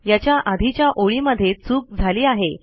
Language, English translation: Marathi, The line before it is causing a problem